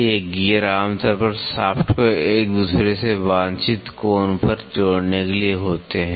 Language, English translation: Hindi, These gears are usually to connect shafts at a desired angle to each other